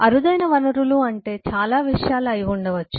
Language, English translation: Telugu, by scarce resource it could mean several things